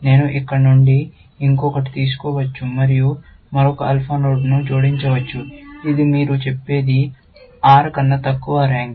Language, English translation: Telugu, I can take still, one more from here, and add another alpha node, which you will say, rank less than R